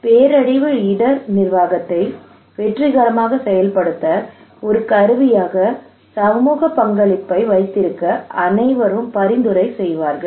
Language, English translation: Tamil, Everybody would recommend you to have community participation as a tool to successful implementations of disaster risk management